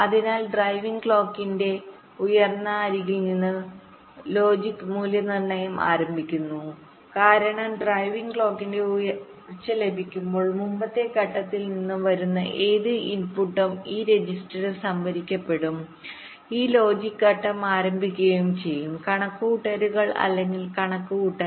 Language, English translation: Malayalam, because when we get the rising edge of driving clock, that whatever is the input that is coming from the previous stage, that will get stored in this register and this logic stage will start its calculations or computation